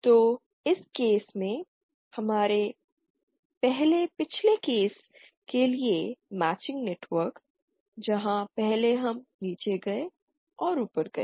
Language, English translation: Hindi, So in this case our matching network for the first previous case where first we went down and went up